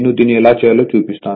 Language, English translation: Telugu, 1, I will show you how you can do it right